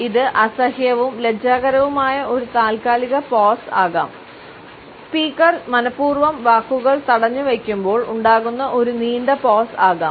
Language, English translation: Malayalam, It can be an awkward in embarrassing pause, a lengthy pause when the speaker deliberately holds back the words